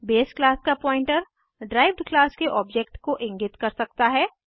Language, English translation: Hindi, Pointer of base class can point to the object of the derived class